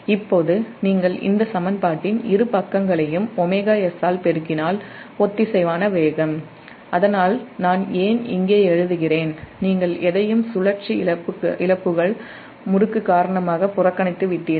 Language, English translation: Tamil, now, if you multiply both sides of this equation by omega s, the synchronous speed, so thats why here i am writing, also, here you have neglected any retarding torque due to rotational losses